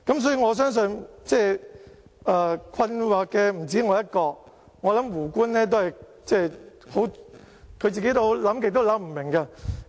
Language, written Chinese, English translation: Cantonese, 所以，我相信困惑的不止我一個，我想胡官都會感到困惑。, Hence I believe that I am not the only one feeling baffled and I think Justice WOO will feel the same too